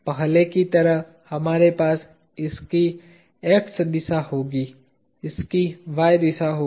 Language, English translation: Hindi, As before, we will have this has x direction, this has y direction